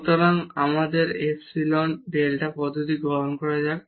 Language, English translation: Bengali, So, here let us take the epsilon delta approach